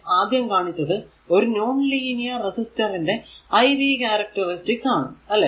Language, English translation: Malayalam, So, this is the iv characteristic of a linear resistor the first one iv characteristic of a non linear resistor, right